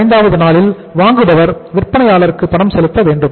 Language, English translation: Tamil, On the 45th day the buyer is supposed to make the payment to the seller, one